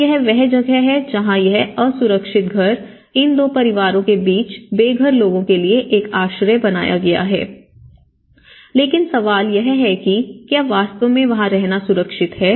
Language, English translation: Hindi, So, that is where this unsafe houses has become a shelter for the corridor between these two families has become a shelter for the homeless people, but the question is, is it really safe to live there